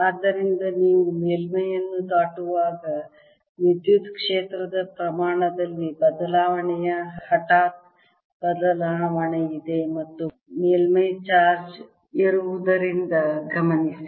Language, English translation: Kannada, so notice there is a change, sudden change, in the electric field magnitude as you cross the surface and that is because there is a surface charge